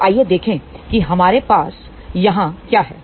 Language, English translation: Hindi, So, let us see what we have here